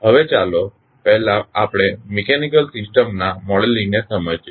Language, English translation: Gujarati, Now, let us first understand the modeling of mechanical systems